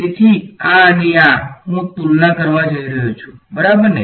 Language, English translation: Gujarati, So, this and this I am going to compare ok